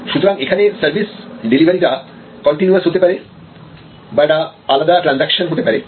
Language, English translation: Bengali, So, there is a nature of service delivery can be continuous and can be discrete transaction